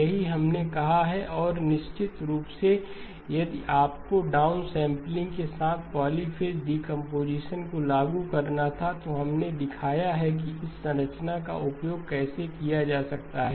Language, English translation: Hindi, That is what we said and of course if you had to apply the polyphase decomposition with the down sampling, we showed how this structure could be utilized